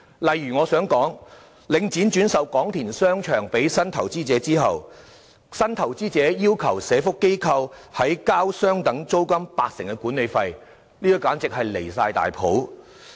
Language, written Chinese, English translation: Cantonese, 例如，領展在轉售廣田商場予新投資者後，新投資者要求社福機構在繳交相等於租金八成的管理費，這做法簡直極端離譜。, For example the new investor of Kwong Tin Shopping Centre after acquisition of the property demanded tenants which are social welfare organizations to pay management fees equivalent to 80 % of rents